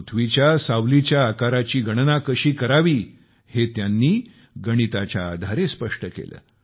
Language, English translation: Marathi, Mathematically, he has described how to calculate the size of the shadow of the earth